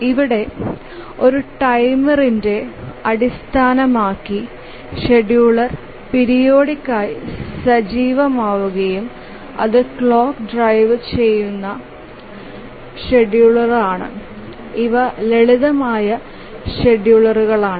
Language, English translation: Malayalam, So, here based on a timer, the scheduler becomes active periodically and that is a clock driven scheduler